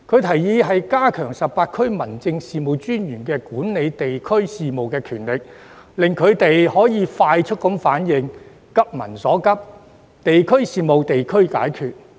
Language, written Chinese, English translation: Cantonese, 他建議加強18區民政事務專員管理地區事務的權力，令其可以快速作出反應，急民所急，"地區事務、地區解決"。, He suggests strengthening the powers of the 18 District Officers over the administration of the districts so that they can make rapid response and act proactively to address the concerns of the people promptly thus achieving the benefit of addressing district affairs at the district level